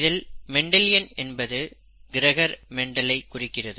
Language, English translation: Tamil, Mendelian refers to Mendel, Gregor Mendel